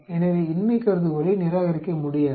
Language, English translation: Tamil, So, cannot reject the null hypothesis